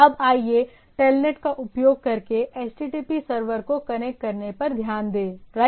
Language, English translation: Hindi, Now, just to look at that connecting HTTP server using I can have a TELNET also, right